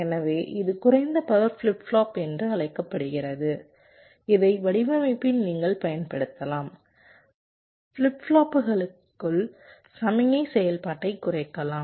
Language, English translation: Tamil, so this is the so called low power flip flop, which you can use in a design to reduce the signal activity inside the flip flops